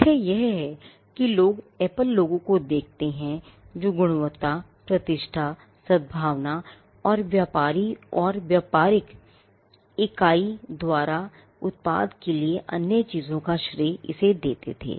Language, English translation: Hindi, The fact that people look at the Apple logo and attribute quality reputation, goodwill and many other things to the product was created by the trader or by the business entity itself